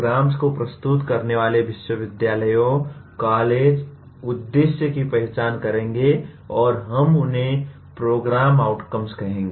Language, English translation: Hindi, Universities, colleges offering the programs, will identify the “aims” and we are going to call them as “program outcomes”